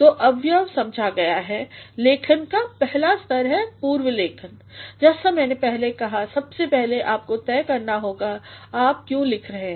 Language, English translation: Hindi, So, having understood the components the first stage of writing is pre writing; as I said earlier, first you have to decide why are you writing